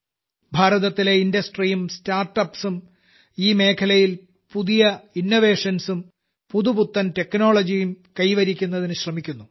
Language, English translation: Malayalam, Indian industries and startups are engaged in bringing new innovations and new technologies in this field